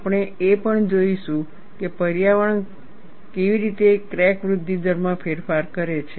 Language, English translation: Gujarati, We would also see, how does the environment changes the crack growth rate